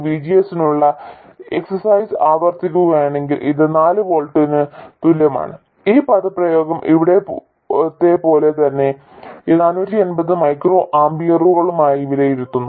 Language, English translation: Malayalam, And repeating the exercise for VGS equals 4 volts, this expression evaluates to 450 microamperors, exactly like here